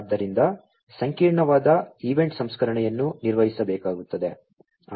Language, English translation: Kannada, So, a complex event processing will have to be performed